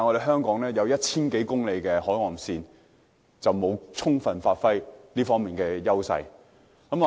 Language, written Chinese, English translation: Cantonese, 香港擁有 1,000 多公里的海岸線，卻沒有充分發揮這方面的優勢。, Despite having a coastline of over 1 000 km long Hong Kong has not taken good advantage of this edge